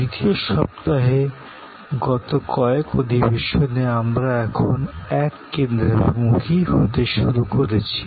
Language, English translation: Bengali, In the second week, in the last couple of sessions, we are now have started to converge